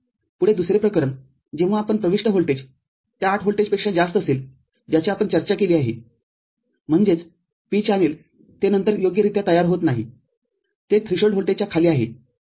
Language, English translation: Marathi, Next, the other case when the input voltage is more than that 8 volt that we had talked about, more than 8 volt; that means, the p channel it does not get then properly formed it is below the threshold voltage